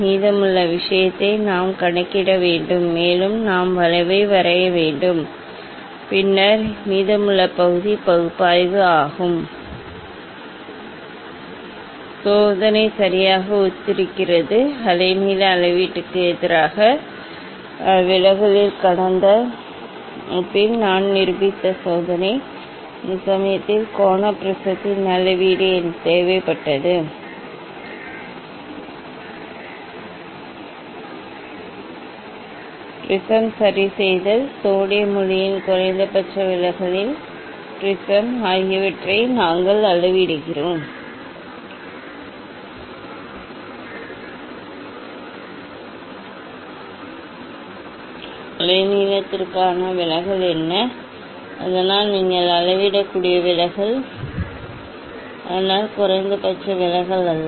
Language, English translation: Tamil, Then rest of the thing just we have to calculate, and we have to draw the curve, and then rest of the part is analysis the experiment is exactly similar, the experiment we have demonstrated in last class at deviation versus the wave length measurement, in that case also we required the measurement of the angular prism ok, also we are measuring; we are measuring the just deviation fixing the prism fixing, the prism at minimum deviation of sodium light And for that position of the prism, what was the deviation for different wavelength so that deviation you can measure, so that was not the minimum deviation